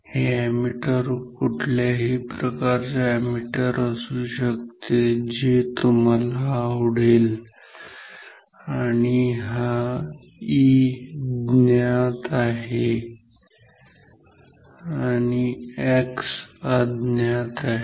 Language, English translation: Marathi, So, this can be an ammeter any type of ammeter you like and this E is known or X is unknown